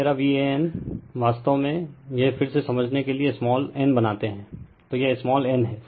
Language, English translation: Hindi, So, my V an actually this again we make small n for your understanding, so it is small n